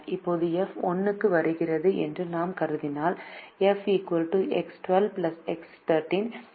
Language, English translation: Tamil, now if we assume that f comes into one, then f will be equal to x one two plus x one three